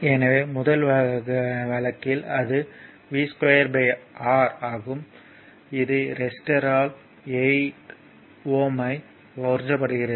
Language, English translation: Tamil, So, in the first case, the that is v square by R, that is power a absorbed by the resistor 8 ohm